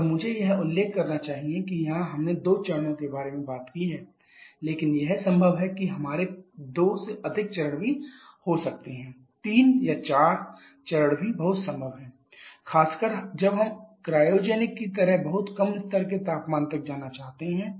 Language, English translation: Hindi, And I should mention that here though we have talked about 2 stage but it is possible that we can have more than 2 stages also 3 or 4 stages are also very much possible particularly when we are looking to go for very low like cryogenic level temperatures